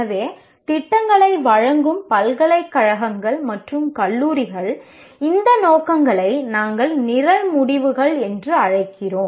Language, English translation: Tamil, So, universities and colleges offering the programs will have to identify these aims called, we are calling them as program outcomes